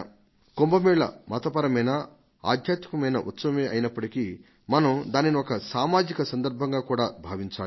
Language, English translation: Telugu, I believe that even if the Kumbh Mela is a religious and spiritual occasion, we can turn it into a social occasion